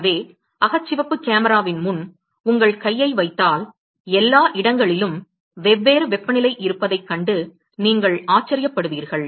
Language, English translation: Tamil, So, if you keep your hand in front of the infrared camera you will be surprised to see that all locations, they have different temperature